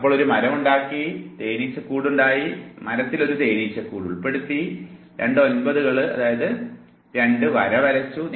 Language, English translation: Malayalam, So, 3 was tree, so you have made a tree, 5 was, hive you have added a hive to the tree, because there was double 9 therefore you have drawn two lines